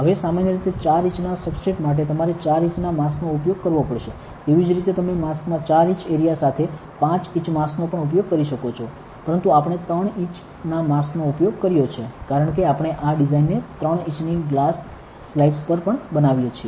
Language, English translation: Gujarati, Now, if usually for 4 inch substrate, you will need to use a 4 inch mask; likewise you can even use a 5 inch mass with 4 inch area in the mask, but we have used a 3 inch mask because we make these designs also on 3 inch glass slides